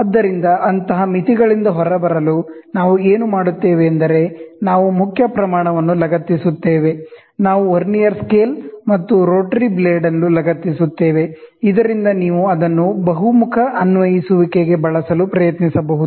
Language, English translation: Kannada, So, in order to get out of such limitations, what we do is we attach a main scale; we attach a Vernier scale, and a rotary blade, so that you can try to use it for versatile applications